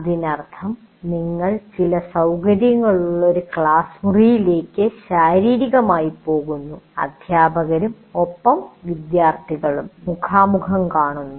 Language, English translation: Malayalam, That means you go into a physically a classroom which has certain facilities and the students and teachers are face to face